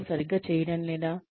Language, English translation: Telugu, Are they doing it right